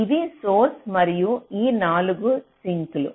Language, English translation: Telugu, so this is the source and these are the four sinks